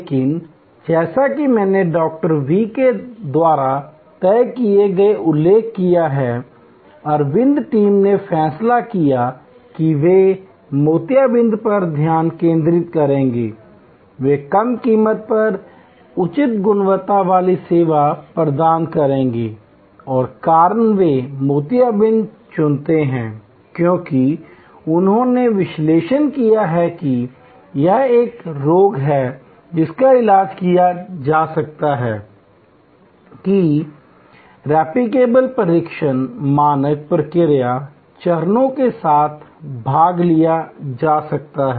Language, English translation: Hindi, V decided, the Aravind team decided that they will focus on cataract, they will provide high quality service at low cost and the reason, they choose cataract, because they analyzed that this is a melody that can be treated; that can be attended to with replicable tested standard process steps